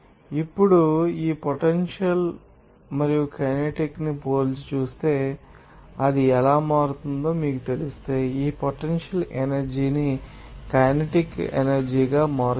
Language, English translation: Telugu, Now, if we you know compared this potential and kinetic energy and how it is actually changing, just converting this potential energy to the kinetic energy